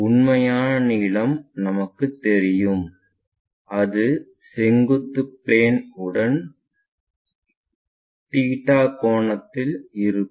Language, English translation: Tamil, So, true length we know with theta angle with the vertical plane construct it